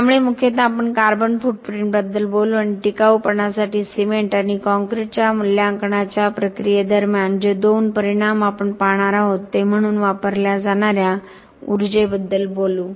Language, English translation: Marathi, So mostly we will talk about carbon footprint and we will talk about the energy consumed as the two impacts that we will look at during the process of the assessment of cement and concrete for sustainability